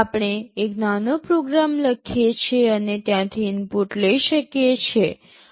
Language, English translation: Gujarati, We can write a small program and take input from there